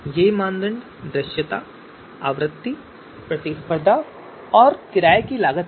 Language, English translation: Hindi, So these criterias are visibility, frequency, competition and renting costs